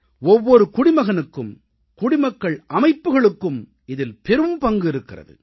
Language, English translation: Tamil, Every citizen and people's organizations have a big responsibility